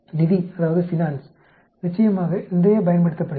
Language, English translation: Tamil, Finance, of course is quite a lot used